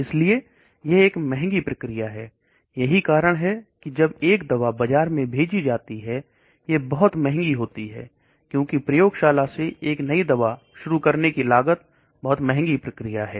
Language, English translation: Hindi, So it is an expensive process, that is why when a drug is introduced, a new drug is introduced into the market it will be very expensive, because cost of introducing a new drug from the lab is a very expensive process